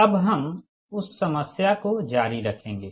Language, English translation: Hindi, so we will continue that ah problem, right